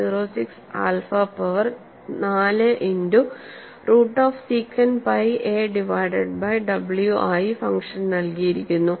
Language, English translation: Malayalam, 06 alpha power four multiplied by root of secant pi a divided by w